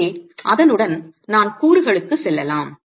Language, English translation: Tamil, So, with that let me move on to elements